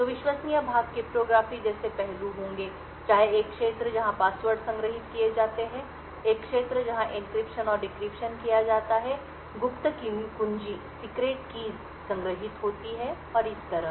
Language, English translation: Hindi, So, the trusted part would be aspects such as cryptography, whether a region where passwords are stored, a region where encryption and decryption is done, secret keys are stored and so on